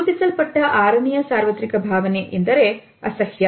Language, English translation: Kannada, The sixth universally recognized emotion is disgust